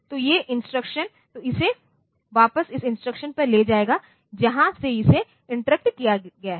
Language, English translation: Hindi, So, these instructions so it will take it back to the instruction from where it was interrupted